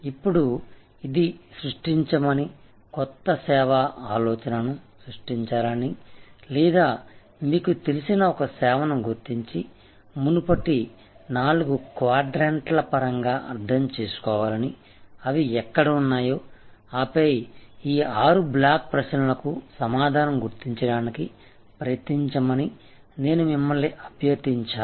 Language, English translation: Telugu, Now, this is I requested you to create, identify either create a new service idea or identify a service you are familiar with and understand in terms of the previous four quadrants, where they are and then, try to identify the answer to these six blocks of questions